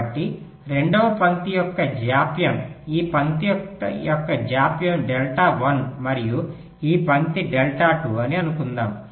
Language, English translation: Telugu, so it may so happen that the delay of the second line, lets say the delay of this line, is delta one and this line is delta two